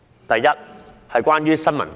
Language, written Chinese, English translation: Cantonese, 第一，打擊新聞自由。, First freedom of the press will be prejudiced